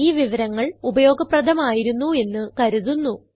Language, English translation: Malayalam, We hope this information was helpful